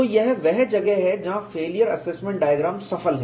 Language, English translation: Hindi, So, that is where the success of failure assessment diagrams